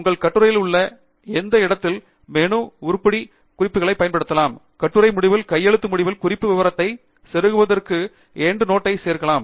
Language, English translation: Tamil, At any location in your article use the menu item References, Insert Endnote to insert a reference detail at the end of the article manually